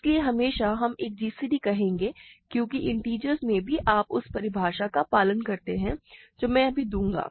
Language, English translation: Hindi, So, always we will say a gcd because even in integers if you follow the definition of that I will give now